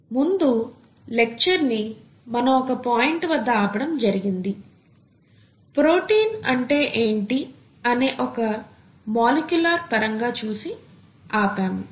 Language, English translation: Telugu, So in the last class, last lecture we left at a point, from a molecular viewpoint, what is a protein